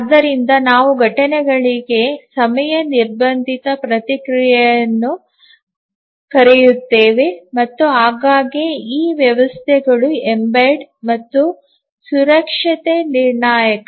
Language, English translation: Kannada, So, that we call as the time constrained response to the events and often these systems are embed and safety critical